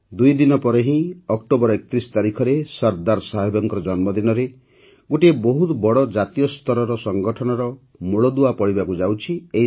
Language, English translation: Odia, Just two days later, on the 31st of October, the foundation of a very big nationwide organization is being laid and that too on the birth anniversary of Sardar Sahib